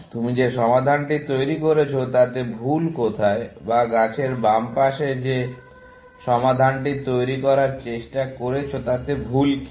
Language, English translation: Bengali, the fault in the solution that you constructing, or what is wrong with the solution that the left side of the tree is trying to construct